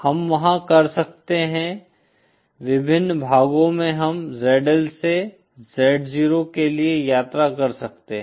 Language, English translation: Hindi, We can there are various parts we can travel from ZL to Z0